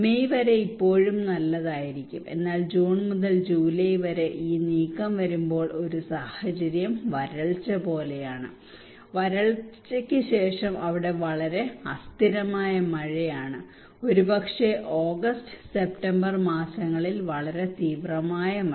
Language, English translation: Malayalam, Until May is still fine but when this move from to June or July no rain then is almost like a drought like a situation and just after the drought they are very erratic rainfall maybe a very intensive rainfall during August and September